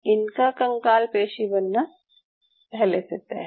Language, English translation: Hindi, These are predestined to become skeletal muscle